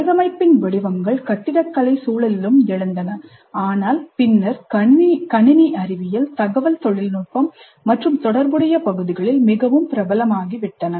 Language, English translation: Tamil, The patterns in design also arose in the context of architecture, but subsequently has become very popular in computer science, information technology and related areas